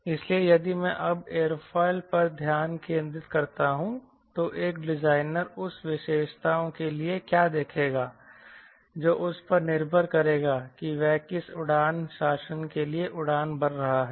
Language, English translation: Hindi, so if i now focus on aerofoil, what a designer would look for that tributes which will help him, depending upon what flight regime is flying